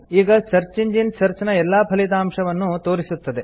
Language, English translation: Kannada, The search engine brings up all the results